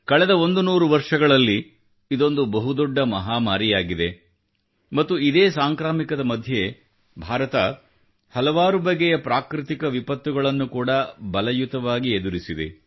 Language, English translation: Kannada, This has been the biggest pandemic in the last hundred years and during this very pandemic, India has confronted many a natural disaster with fortitude